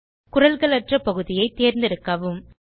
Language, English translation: Tamil, Remember to select a portion without voice